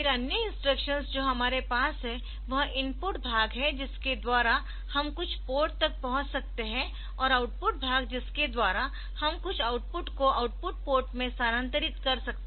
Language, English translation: Hindi, Then other instructions that we have is the input part the by which we can reach some port and the output part by which we can transfer some output to the output port